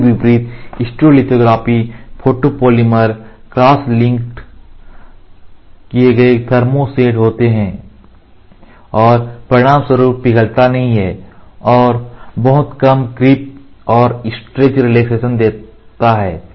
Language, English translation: Hindi, In contrast SL photopolymers are cross linked thermo sets, and as a result do not melt and exhibit much less creep and stress relaxation